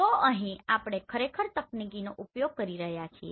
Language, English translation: Gujarati, So here basically we are making use of the technology